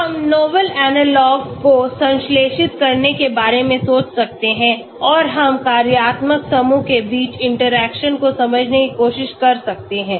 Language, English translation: Hindi, We can think of synthesizing novel analogues and we can try to understand interaction between functional groups